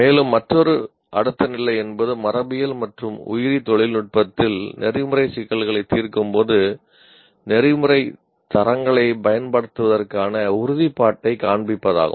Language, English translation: Tamil, And further, another incremental level is display commitment to using ethical standards when resolving ethical problems in genetics and biotechnology